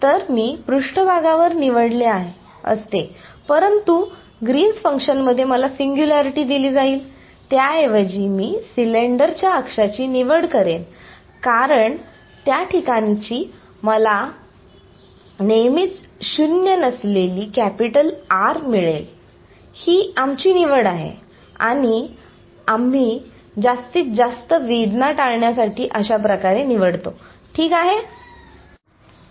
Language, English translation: Marathi, So, I could have chosen on the surface, but that would I given me a singularity in Green’s function, I choose instead the axis of the cylinder because there I will always a have non zero capital R; it is our choice and we choose it in a way that we get to avoid maximum pain fine ok